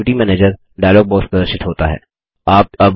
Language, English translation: Hindi, The Activity Manager dialog box appears